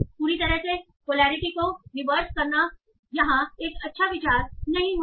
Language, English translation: Hindi, So completely reverse in the polarity will not be a good idea here